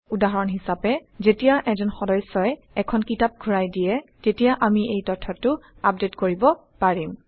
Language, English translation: Assamese, For example, when a member returns a book, we can update this information